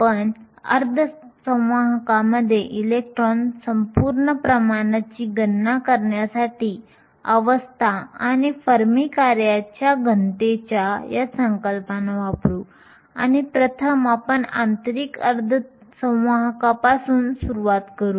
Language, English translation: Marathi, We will use these concepts of density of state and fermi function, in order to calculate the electron whole concentration in semiconductors and first we will start with intrinsic semiconductors